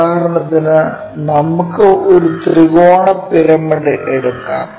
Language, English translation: Malayalam, For example, let us take triangular pyramid